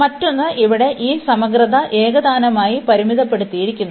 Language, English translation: Malayalam, And the other one, here this integral is uniformly bounded